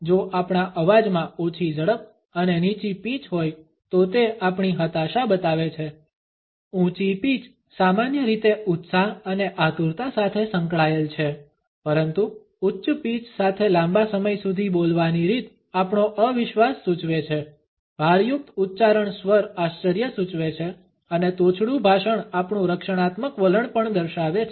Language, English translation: Gujarati, If our voice has low speed and low pitch it shows our depression high pitch is normally associated with enthusiasm and eagerness, high pitch but a long drawn out way of speaking suggest our disbelief, accenting tone suggest astonishment and abrupt speech also shows our defensive attitude